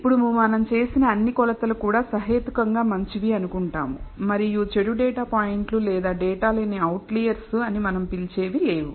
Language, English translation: Telugu, Now, we also assume that all the measurements that we have made are reasonably good and there are no bad data points or what we call outliers in the data